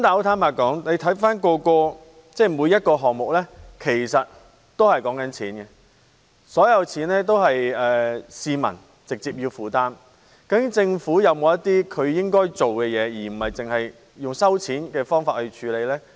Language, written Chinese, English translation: Cantonese, 但是，坦白說，回看每一個項目，說到底也是跟錢有關，而所有錢也是由市民直接負擔，究竟政府應否有些行動，而不是只靠徵費呢？, However in retrospect every item is to be honest essentially a matter of money and all the costs are directly borne by the public . After all should the Government take some actions instead of relying solely on levies?